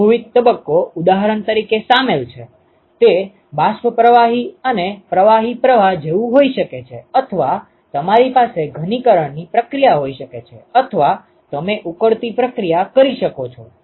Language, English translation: Gujarati, Multiple phases are involved for example, it could be like a vapor stream and a liquid stream or you can have a condensation process or you can have a boiling process etcetera ok